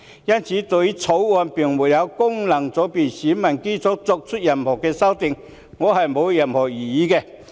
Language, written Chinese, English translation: Cantonese, 因此，對於《條例草案》沒有就功能界別選民基礎作出任何修訂建議，我沒有任何異議。, Therefore I have no objection to the Bill making no amendments in relation to the electorate of FCs